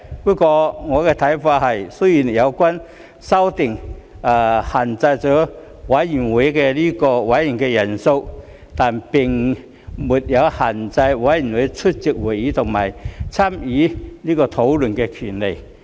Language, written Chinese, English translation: Cantonese, 不過，我的看法是，雖然有關修訂限制了委員會的委員人數，但並沒有限制非委員出席會議和參與討論的權利。, However in my opinion although the amendments would limit the membership size for committees they do not restrict the right of non - members to attend meetings and participate in discussion